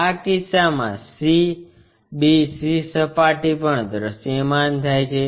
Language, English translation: Gujarati, In this case c, bc surface also visible